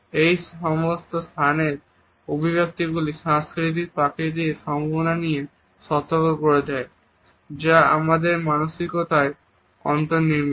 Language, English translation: Bengali, These spatial connotations alert us to the possibility of cultural differences which are in built in our psyche